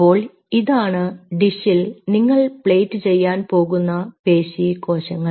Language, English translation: Malayalam, so so these are your muscle cells you are plating in a dish